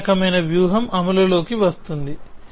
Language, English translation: Telugu, The same kind of strategy is come into play